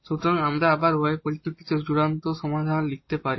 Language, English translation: Bengali, So, we can write down final solution again in terms of y